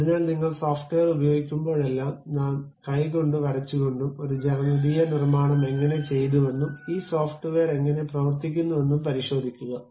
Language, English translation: Malayalam, So, whenever you are using a software, you always go back check how a geometrical construction by hand drawing we have done, and how this software really works